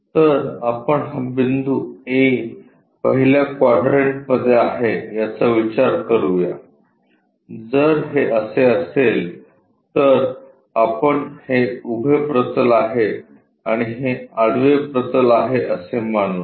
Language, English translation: Marathi, So, let us consider this point A is in the first quadrant, if that is the case we will be having let us consider this is the vertical plane and this is the horizontal plane